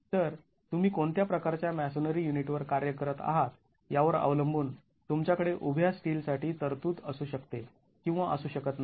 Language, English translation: Marathi, So, depending on what type of masonry unit you are working with, you may or may not have the provision to provision for vertical steel